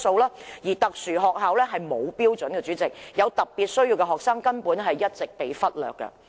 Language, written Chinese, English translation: Cantonese, 至於特殊學校則並無既定標準，有特別需要的學生根本一直被忽略。, As regards special schools no established standards have been set which well reflects that students with special needs have been neglected all along